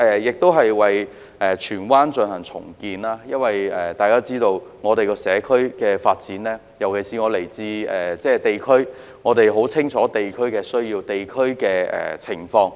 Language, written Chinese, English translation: Cantonese, 至於在荃灣進行重建，由於我來自地區，所以對於社區的發展、地區的需要和情況，可說十分清楚。, As for the implementation of renewal plans in Tsuen Wan I have all along engaged in district work and I know much about the development of the community as well as needs at district level and conditions